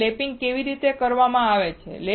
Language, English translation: Gujarati, Or how lapping is done